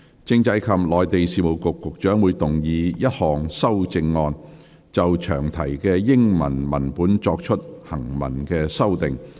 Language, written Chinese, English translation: Cantonese, 政制及內地事務局局長會動議一項修正案，就詳題的英文文本作出行文修訂。, The Secretary for Constitutional and Mainland Affairs will move a textual amendment to the English text of the long title